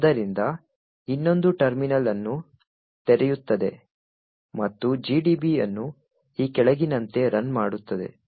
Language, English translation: Kannada, So, will open another terminal and run GDB as follows